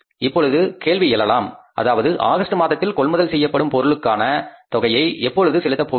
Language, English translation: Tamil, Now question arises when we are going to pay for the purchases which we made in the month of August for the sales to be made in the month of September